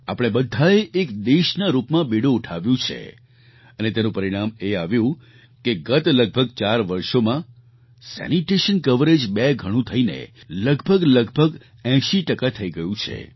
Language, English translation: Gujarati, All of us took up the responsibility and the result is that in the last four years or so, sanitation coverage has almost doubled and risen to around 80 percent